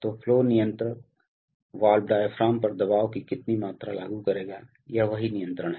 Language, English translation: Hindi, So what amount of pressure will be applied on the flow control valve diaphragm, that is what is control